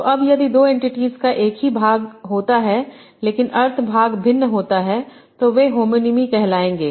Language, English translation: Hindi, So now if two entities have the same form part but the meaning part is different then they will call the homonyms